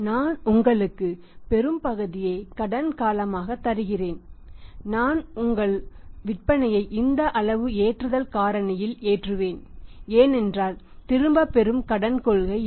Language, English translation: Tamil, I will give you this much of the credit period I will be loading your sales at this much of the loading factor because nothing is in the black and white there is no return credit policy